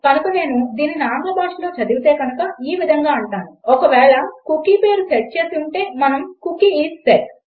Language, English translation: Telugu, So if I read this out in English language then Ill say If the cookie name is set then we say echo Cookie is set